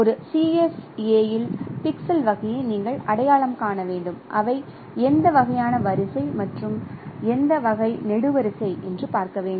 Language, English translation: Tamil, So what you need to do, you need to identify the type of pixel in a CFA that means which type of row and which type of column it is